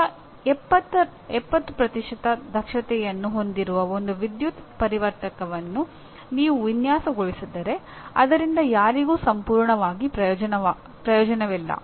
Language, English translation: Kannada, If you design one power converter that has only 70% efficiency it is of absolutely no use to anybody